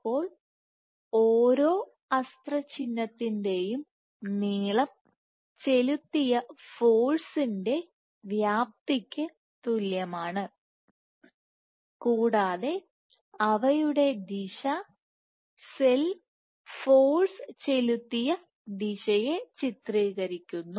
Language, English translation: Malayalam, So, length of each arrow is equivalent to the magnitude of the force that has been exerted, and the direction depicts the direction along which the cell has exerted in the force